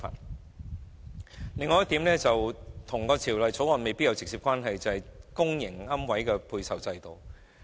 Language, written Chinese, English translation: Cantonese, 此外，還有一點未必與《條例草案》存在直接關係，就是公營龕位的配售制度。, Furthermore there is another point that may not be directly related to the Bill and that is the allocation system of public niches